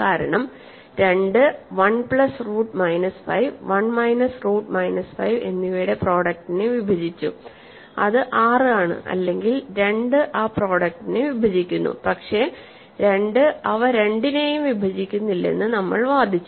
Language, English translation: Malayalam, Because 2 divides the product of 1 plus root minus 5 and 1 minus root minus 5 which is actually 6, or 2 divides the product, but we argued that 2 does not divide either of them